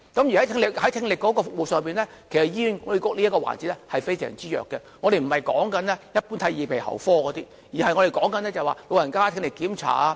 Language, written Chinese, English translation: Cantonese, 醫院管理局在聽力服務這個環節非常弱，我所指的不是一般的耳鼻喉科，而是長者聽力檢查。, This is hazardous to their health . The Hospital Authority HA is extremely weak in audiology services . I am referring not to the general services in otolaryngology but hearing tests for the elderly